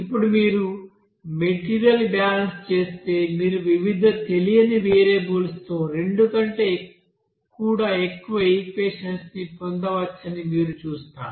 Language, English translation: Telugu, Now if you do the material balance you will see that there you may get more than two equations, they are even you know that with different you know unknown variables